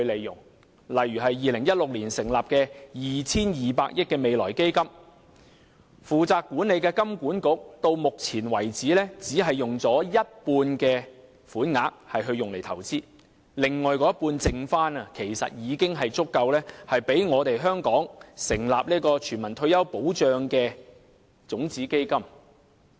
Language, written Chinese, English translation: Cantonese, 舉例而言 ，2016 年成立的 2,200 億元未來基金，負責管理的香港金融管理局至今只用了一半款額作投資，餘下的另一半其實已經足夠讓香港成立全民退休保障的種子基金。, For instance the Future Fund was established in 2016 with 220 billion yet so far the Hong Kong Monetary Authority responsible for the management of the Fund only used half of the amount for investment . Actually the remainder of the fund is already enough to set up a seed fund for the universal retirement protection system